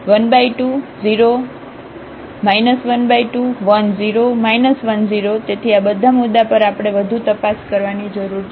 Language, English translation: Gujarati, So, at all these points we need to further investigate